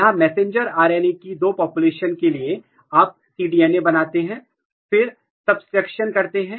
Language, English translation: Hindi, And so, basically here what used to do, there were two population of the messenger RNA, you make cDNA then do the subtraction, subtract